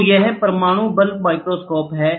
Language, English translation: Hindi, So, this is atomic force microscope